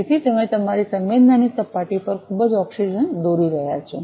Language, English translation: Gujarati, So, you are drawing lot of oxygen on to your sensing surface